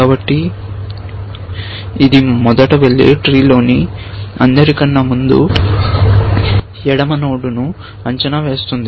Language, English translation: Telugu, So, it first goes and evaluates the first left most node in the tree